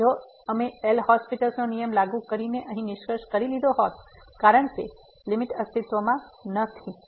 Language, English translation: Gujarati, So, if we would have concluded here by applying the L’Hospital’s rule, because this limit does not exist